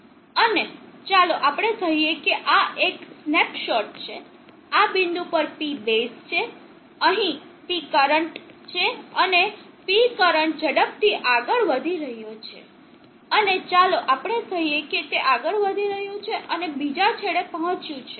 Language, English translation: Gujarati, And let us say this is one snapshot P bases at this point, P current here and the P current is moving fast, and let us say it is moving and reaches the other end